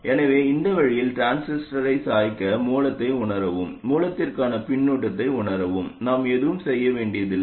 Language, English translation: Tamil, So to bias the transistor in this way, to censor the source and feedback to the source, we don't have to do anything